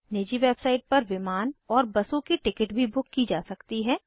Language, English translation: Hindi, There are private website for train ticket booking